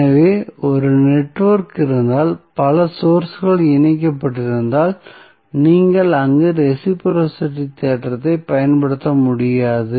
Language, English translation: Tamil, So, if there is a network were multiple sources are connected you cannot utilize the reciprocity theorem over there